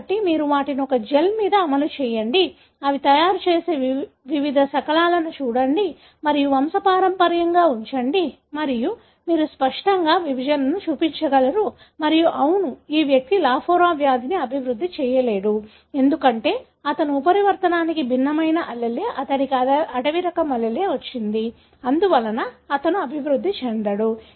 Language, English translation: Telugu, So, you run them on a gel, look at the different fragments that they make and put the pedigree and you will be able to clearly show the segregation and tell, yes, this individual will not develop Lafora disease, because he is heterozygous for mutant allele